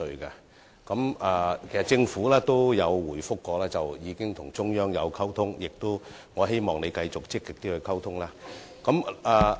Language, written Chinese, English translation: Cantonese, 其實，政府曾回覆表示已經與中央溝通，我希望局長會繼續積極溝通。, In fact the Government did reply that it had communicated with the Central Authorities . I hope the Secretary will maintain the proactive communication